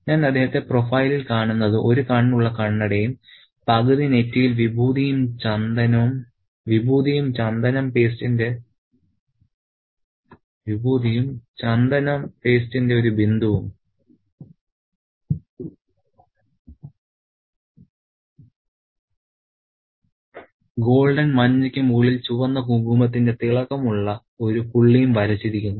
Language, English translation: Malayalam, I see him in profile, one eye, spectacles, half a forehead streaked with Wibhudi and a dot of Chandanam paste, golden yellow, topped by a vivid spot of red kunkumumum